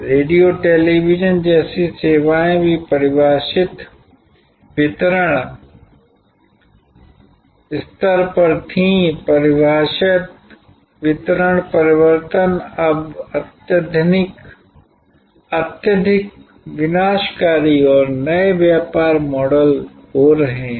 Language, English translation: Hindi, Even services like radios, television, were there were defined delivery stages, defined delivery change are now getting highly destructed and new business model